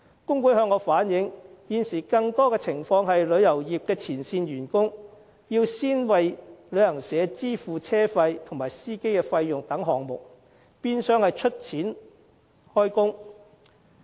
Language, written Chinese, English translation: Cantonese, 工會向我反映，現時更多情況是，旅遊業前線員工要先為旅行社支付車費及司機費等項目，變相是"出錢開工"。, The trade unions told me that it is presently a common practice for tour guides to advance payments such as coach rentals and drivers fees for travel agencies . The tour guides are in effect advancing money for work